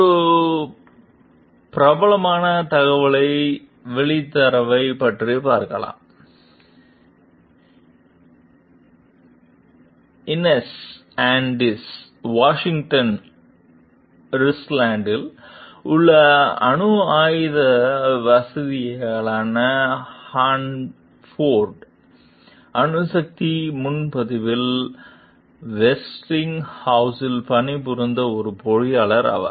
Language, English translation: Tamil, One famous whistleblower, Inez Austin, was an engineer employed by Westinghouse at the Hanford Nuclear Reservation, a nuclear weapons facility in Richland, Washington